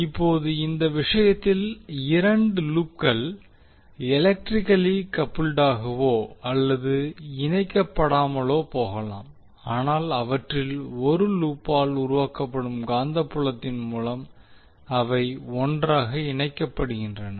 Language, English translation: Tamil, Now in this case we will see when the two loops which may be or may not be connected electrically but they are coupled together through the magnetic field generated by one of them